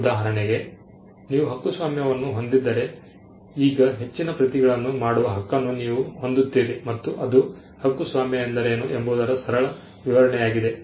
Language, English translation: Kannada, For instance, if you have a copyright then you simply have the right to make further copies now that is a simple explanation of what a copyright is